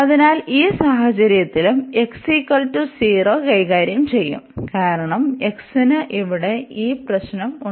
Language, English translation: Malayalam, So, in this case we will also deal this because at x is equal to 0, we have this problem here with x